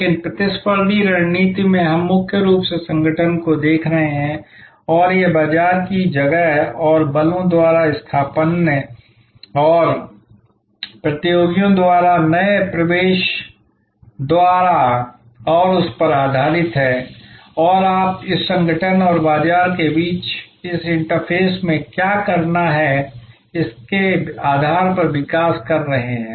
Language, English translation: Hindi, But, in competitive strategy we are mainly looking at the organization and it is interfaces with the market place and the forces imposed by substitutes and by competitors and by new entrance and based on that you are developing what to do at this interface between the organization and the market